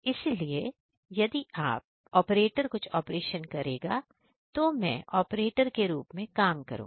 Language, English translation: Hindi, So, if given to the operator if operator will perform some operation I will be acting as an operator